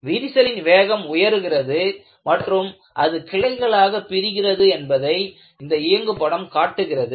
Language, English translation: Tamil, The animation shows that, crack speed increases and it branches out